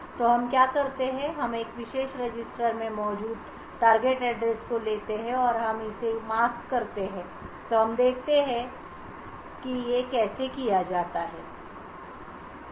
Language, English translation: Hindi, So what we do is we take the target address which is present in a particular register and we mask it, so let us see how this is done